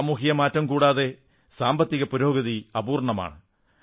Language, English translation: Malayalam, Economic growth will be incomplete without a social transformation